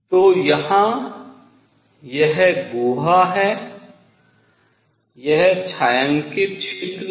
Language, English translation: Hindi, So here is this cavity, this was the shaded region and this is a